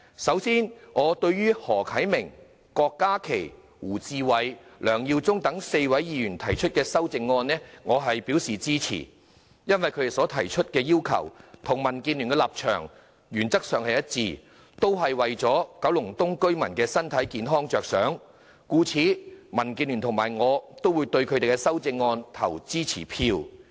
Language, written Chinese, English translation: Cantonese, 首先，對於何啟明議員、郭家麒議員、胡志偉議員及梁耀忠議員4位議員提出的修正案，我表示支持，因為他們的要求與民主建港協進聯盟的立場原則上一致，也是為了保障九龍東居民的健康，故此民建聯與我也會對他們的修正案投支持票。, To start with I express support for the amendments proposed by the four Members namely Mr HO Kai - ming Dr KWOK Ka - ki Mr WU Chi - wai and Mr LEUNG Yiu - chung because their demands are consistent with the stance and principle of the Democratic Alliance for the Betterment and Progress of Hong Kong DAB which are aimed at protecting the health of residents of Kowloon East . For this reason both DAB and I will vote in support of their amendments